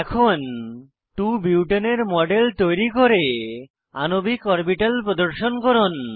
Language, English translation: Bengali, Here is an assignment Create a model of 2 Butene and display molecular orbitals